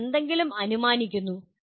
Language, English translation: Malayalam, Then you are inferring something